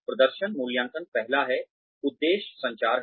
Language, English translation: Hindi, Performance appraisal are the first, aim is communication